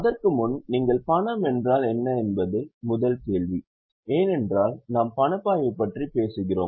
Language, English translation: Tamil, That is the first question because we are talking about cash flow